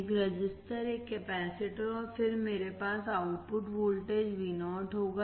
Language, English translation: Hindi, A resistor,A capacitor, and then I will have output voltage Vo